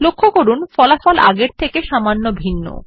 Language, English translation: Bengali, Observe that the results are slightly different from last time